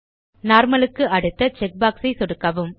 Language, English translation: Tamil, Left click the check box next to Normal